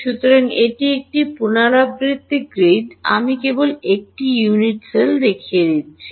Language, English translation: Bengali, So, it is a repeating grid I am just showing one unit cell ok